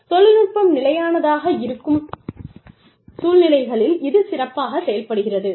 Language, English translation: Tamil, It works best in situations, where technology is stable